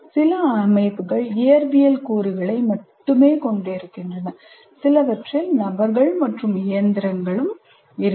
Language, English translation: Tamil, Some systems consist only of physical elements, while some will have persons and machines also